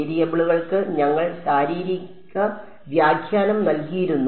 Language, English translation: Malayalam, We had given the physical interpretation to the variables right